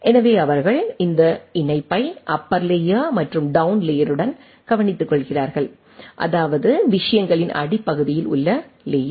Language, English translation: Tamil, So, they take care of that connectivity with the upper layer and the down layer, means layer at the bottom of the things right